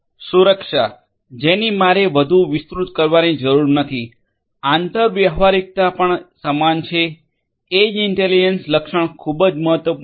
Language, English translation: Gujarati, Security, I do not need to elaborate further, interoperability also the same, edge intelligence feature is very important